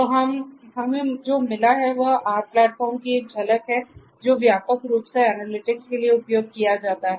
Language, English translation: Hindi, So, what we have got is a glimpse of the R platform which is widely used for analytics